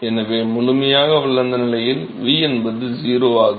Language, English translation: Tamil, So, v is 0 in the fully developed regime